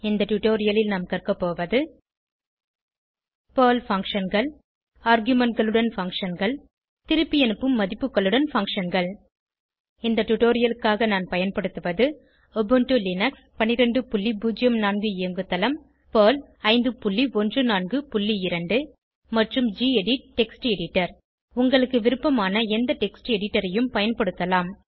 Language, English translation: Tamil, In this tutorial, we will learn about Perl functions functions with arguments function with return values For this tutorial, I am using Ubuntu Linux12.04 operating system Perl 5.14.2 and gedit Text Editor You can use any text editor of your choice